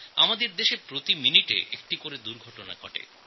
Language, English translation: Bengali, We are witnessing an accident every minute in our country